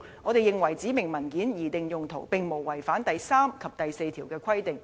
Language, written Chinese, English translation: Cantonese, 我們認為指明文件的擬定用途並無違反第3及第4條的規定。, We consider that sections 3 and 4 are not infringed as far as the intended use of the specified documents is concerned